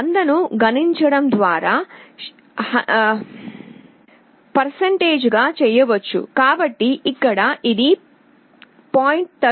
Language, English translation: Telugu, This can also be expressed as a percentage by multiplying by 100